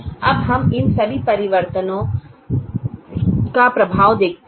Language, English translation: Hindi, now let us see the effect of all these changes